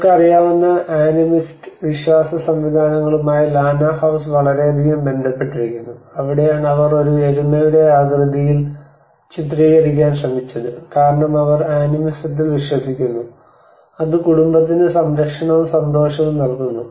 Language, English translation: Malayalam, And the Lanna house is very much linked to the animist approach you know the animist beliefs systems that is where they tried to portray that in the shape of a buffalo because they believe in animism which is providing the protection and happiness to the family